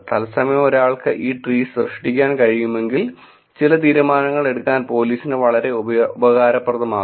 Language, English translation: Malayalam, If only if one can generate these trees in real time it can be very useful for police to make some decisions